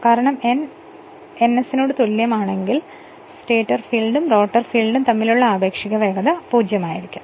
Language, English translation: Malayalam, Because if n is equal to ns the relative speed between the stator field and rotor winding will be 0 right